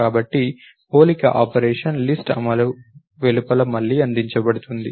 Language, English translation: Telugu, So, the comparison operation is provided outside the list implementation again